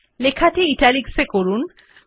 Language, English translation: Bengali, Make the text Italics